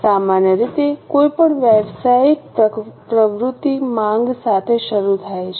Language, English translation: Gujarati, Normally any business activities start with the demand